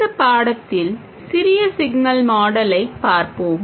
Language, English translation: Tamil, In this lesson we will look at the small signal model